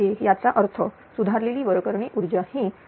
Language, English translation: Marathi, So that means, corrected apparent power is 7397